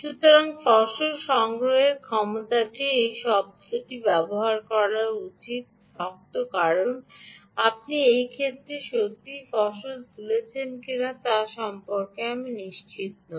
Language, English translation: Bengali, use this word harvesting because i am not sure whether you are really harvesting in this case